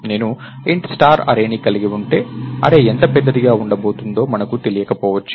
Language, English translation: Telugu, So, if I have int star array, we may not know how big the array is going to be